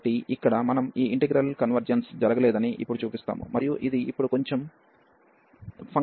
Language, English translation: Telugu, So, here we will show now that this integral does not converge, and this is a bit involved now